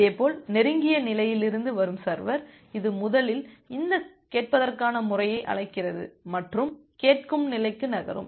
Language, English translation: Tamil, Similarly the server from the close state, it first makes this listen system call and moves to the listen state